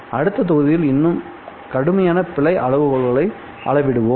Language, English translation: Tamil, We will quantify more stringent error criteria in the next module